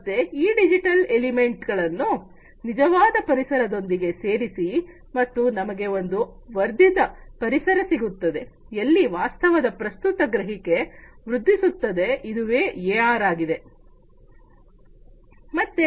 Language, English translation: Kannada, So, these digital elements are added to the actual environment and together we have an amplified environment, where the present perception of reality is improved this is what AR is all about